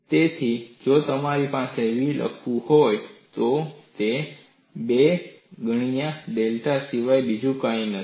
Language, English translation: Gujarati, So, if I have to write down v, it is nothing but 2 times delta